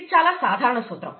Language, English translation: Telugu, This is a very general principle